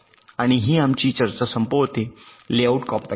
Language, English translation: Marathi, so we continue with our discussion on layout compaction